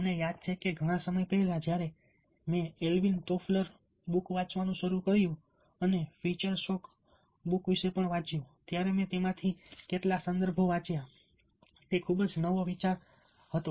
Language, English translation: Gujarati, i remember a long time back when i started reading alwin toflar and read about feature soak, a read some of some of it